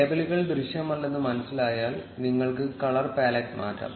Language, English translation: Malayalam, If you notice that the labels are not visible, you can change the color pallet